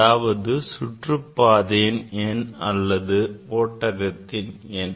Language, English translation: Tamil, that is the orbit number or shell number